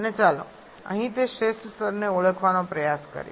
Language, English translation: Gujarati, And let us try to identify that optimum level here